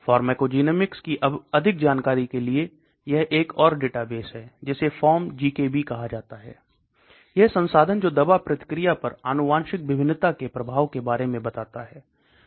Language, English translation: Hindi, More of it pharmacogenomics knowledge implementation, this another database is called PharmGKB, This resource that curates knowledge about the impact of genetic variation on drug response